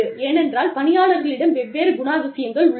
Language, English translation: Tamil, Because, people have different characteristics